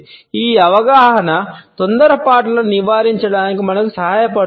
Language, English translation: Telugu, This understanding helps us to avoid hasty conclusions